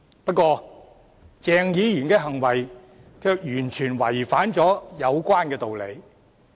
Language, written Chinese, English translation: Cantonese, 不過，鄭議員的行為卻完全違反有關道理。, However the conduct of Dr CHENG completely violated the rationale therein